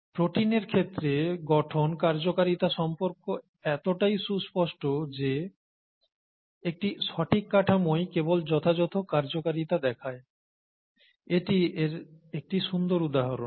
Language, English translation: Bengali, So the structure function relationship is so pronounced in the case of proteins, a proper structure is what results in proper function and this is a very nice example of that